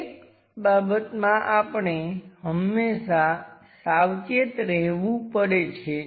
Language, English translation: Gujarati, One thing we have to be careful always